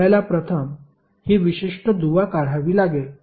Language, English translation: Marathi, You will first remove this particular link